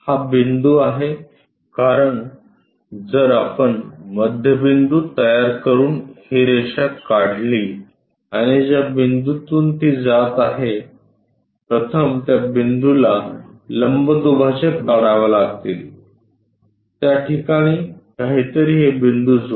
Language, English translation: Marathi, This is the point, because if we can draw this line constructing midpoint and the point through which it is passing through it first one has to construct a perpendicular bisector to this point, something there something there join these points